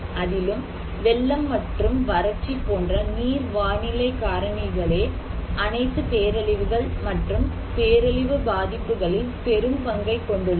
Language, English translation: Tamil, And it is the hydro meteorological particularly, the flood and drought which play a big share of the all disasters and disaster impacts